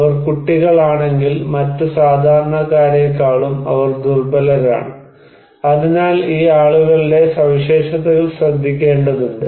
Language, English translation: Malayalam, If they are kids, they are also vulnerable than other common people, so the characteristics of these people that matter right